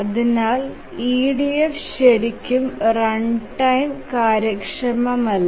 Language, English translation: Malayalam, Therefore we can say that EDF is not really very runtime efficient